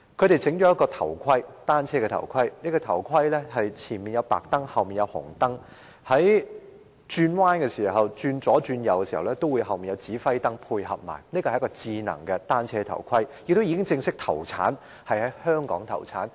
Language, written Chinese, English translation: Cantonese, 他們發明了一款單車頭盔，前面有白燈，後面有紅燈，在左右轉向時後面也有指揮燈配合，是一個智能單車頭盔，現已正式在香港投產。, They have invented a bicycle helmet with white lights in the front and red lights on the back whereas left and right indicator lights are visible on the back . This smart bicycle helmet has been put into production in Hong Kong now